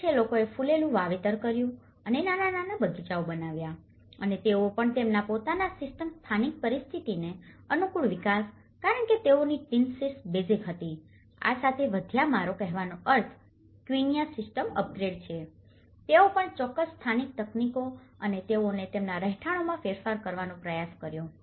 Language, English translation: Gujarati, One is, people have planted flowers and make the small gardens and they also develop their own system adapted to the local conditions, so because they had tin sheets basically, with this advanced I mean upgraded quincha system, they also adopted certain local techniques and they try to modify their dwellings